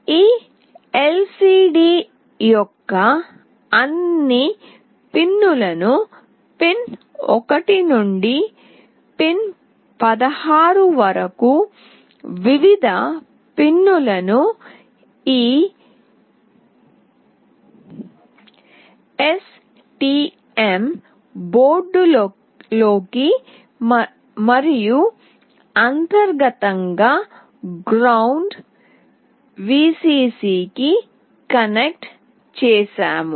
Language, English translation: Telugu, We have connected all the pins of this LCD starting from pin 1 till pin 16 to various pins into this STM board and internally to ground, Vcc